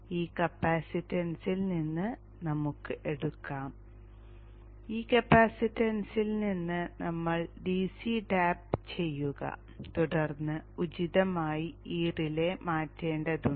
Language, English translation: Malayalam, We could probably take from this capacitance, we tap the DC from this capacitance and then appropriately feed it to this relay